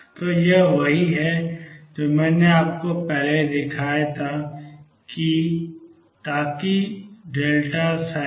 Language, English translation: Hindi, So, this is what I had shown you earlier that this was So that psi 0 x